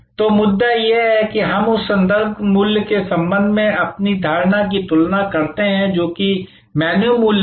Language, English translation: Hindi, So, the point is that, we then compare our perception with respect to that reference value, which is the menu value